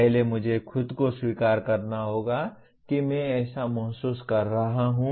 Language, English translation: Hindi, First I have to acknowledge to myself that I am feeling such and such